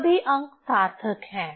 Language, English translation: Hindi, All digits are significant